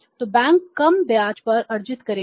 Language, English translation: Hindi, So bank will earn the low rate of interest